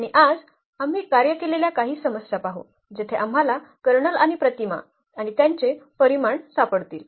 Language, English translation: Marathi, And today, we will see some worked problems where we will find out the Kernel and the image and their dimensions